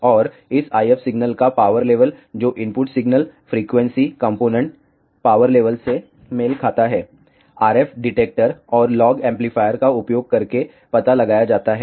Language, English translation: Hindi, And, the power level of this IF signal, which corresponds to the input signal frequency components power level is detected using an RF detector and log amplifier